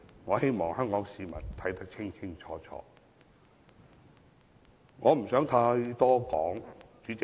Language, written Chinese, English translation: Cantonese, 我希望香港市民看得清清楚楚，我不想說太多。, I hope that Hong Kong people can clearly discern the fact and I do not wish to say any more